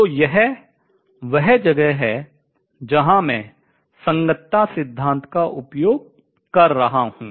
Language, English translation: Hindi, So, this is where I am using the correspondence principle